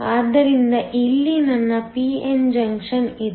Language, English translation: Kannada, So, here is my p n junction